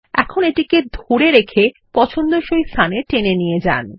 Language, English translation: Bengali, Now drag and drop it in the desired location